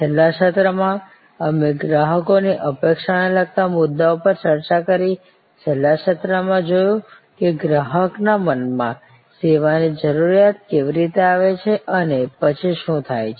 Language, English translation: Gujarati, In the last session we discussed issues relating to customers expectation, in the last session we saw how the need of a service comes up in consumers mind and what happens there after